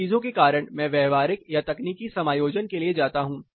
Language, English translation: Hindi, Because of these things I go for behavioral or technological adjustments